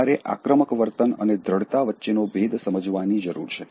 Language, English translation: Gujarati, You also need to distinguish assertiveness from aggressive behavior